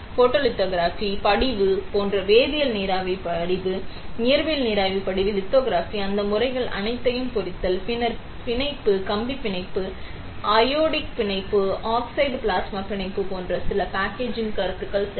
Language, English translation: Tamil, Like photolithography, deposition like chemical vapour deposition, physical vapour deposition, lithography, etching all those methods; and then few packaging concepts like bonding, wire bonding, anodic bonding, oxide plasma bonding etcetera ok